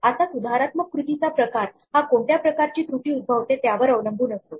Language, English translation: Marathi, Now the type of corrective action could depend on what type of error it is